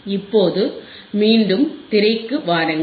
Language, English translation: Tamil, Now, come back to the screen